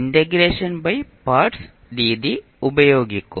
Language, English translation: Malayalam, We will use the integration by parts method